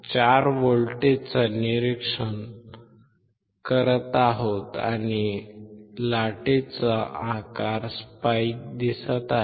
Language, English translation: Marathi, 4 volts and the shape of the wave is a spike